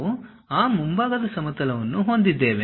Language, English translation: Kannada, We will have that front plane